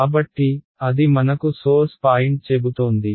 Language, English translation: Telugu, So, that is telling me the source point right